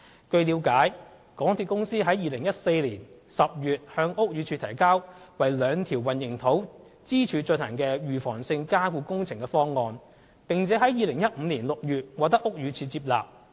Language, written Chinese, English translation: Cantonese, 據了解，港鐵公司於2014年10月向屋宇署提交為兩條混凝土支柱進行預防性加固工程的方案，並於2015年6月獲屋宇署接納其方案。, As far as I understand a proposal for preventive underpinning works for the two concrete pillars was submitted to BD by MTRCL in October 2014 and it was accepted by BD in June 2015